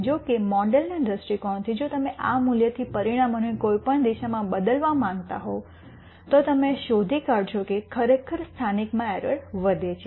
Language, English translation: Gujarati, However, from the model viewpoint if you were to change the parameters from this value in any direction you change, you will be finding out that the error actually increases in the local region